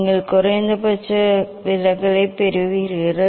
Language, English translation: Tamil, you will get minimum deviation